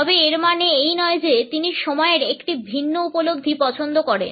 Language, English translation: Bengali, It does not mean, however, that he prefers a different perception of time